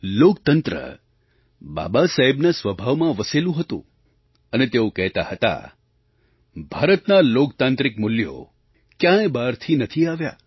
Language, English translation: Gujarati, Democracy was embedded deep in Baba Saheb's nature and he used to say that India's democratic values have not been imported from outside